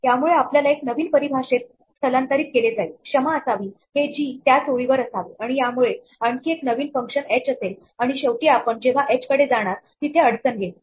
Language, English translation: Marathi, This will in turn transfer us to a new definition sorry this should be on the same line g and this might in turn have another function h and finally, when we go to h perhaps this where the problem happens